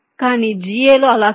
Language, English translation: Telugu, but in ga it is not like that